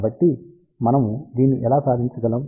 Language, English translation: Telugu, So, how do we achieve this